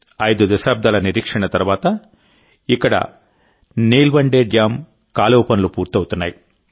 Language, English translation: Telugu, After waiting for five decades, the canal work of Nilwande Dam is now being completed here